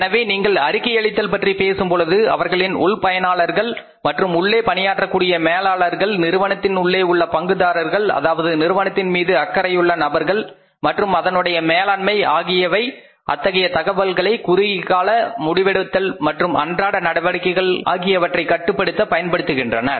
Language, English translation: Tamil, So, if you talk about the uses of reporting their internal uses and internal managers, internal stakeholders, internal say people who take care of the company and its management, they use this information for the short term planning and controlling of the routine operations